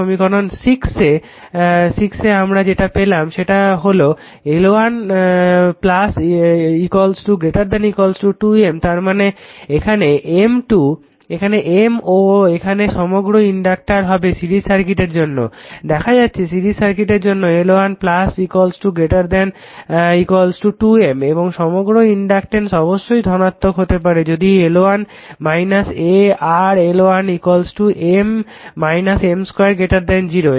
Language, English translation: Bengali, So, equation 6 we have established that L 1 plus L 2 greater than equal to 2 M; that means, M and here for since overall inductor that is for series circuit; you have seen series circuit L 1 plus L 2 greater than equal to 2 M and the overall inductance must be positive, if L 1 minus a your L 1 L 2 minus M square greater than 0 right